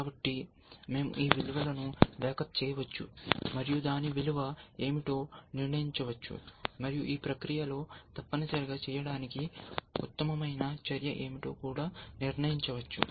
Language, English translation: Telugu, So, we can back up these values, and determine what is the value for that, and in the process also decide what is the best move to make essentially